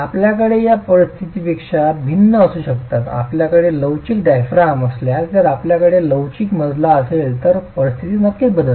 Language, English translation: Marathi, If you have a flexible diaphragm, if you have a flexible floor, then the situation definitely changes